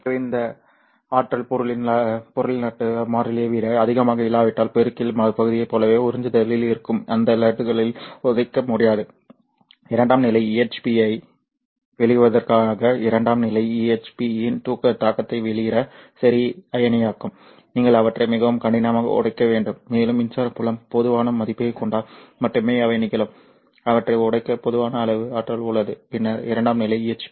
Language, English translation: Tamil, epsilon e square is the energy that is carried typically so unless that energy will be greater than the lattice constant of the material it won't be able to kick that lattices which are in the absorption as in the multiplication region in order to release the secondary EHPs okay to release a secondary EHPs by the impact ionization you have to kick them very hard and that can happen only when the electric field is of sufficient value such that there is enough amount of energy to kick them and then generate the secondary EHPs